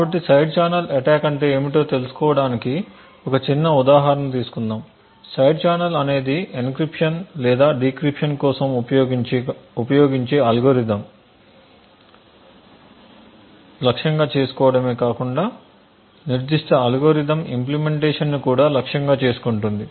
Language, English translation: Telugu, So will take a small example of what a side channel attack is in a very abstract way, a side channel not only targets the algorithm that is used for encryption or decryption but also targets the implementation of that particular algorithm